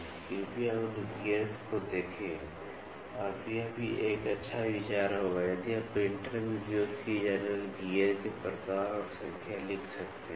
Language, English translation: Hindi, So, please look into those gears and then it will also be a good idea, if you can write down types and number of gears used in the printer